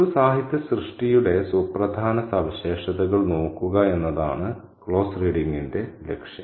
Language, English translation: Malayalam, Now, the aim in closed reading is to look at significant features of a literary work